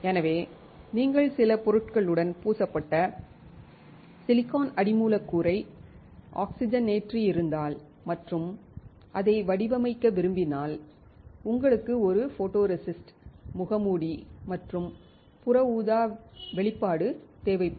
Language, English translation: Tamil, So, if you have oxidised silicon substrate coated with some material and if you want to pattern it you will need a photoresist, a mask, and a UV exposure